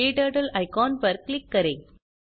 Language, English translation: Hindi, Click on the KTurtle icon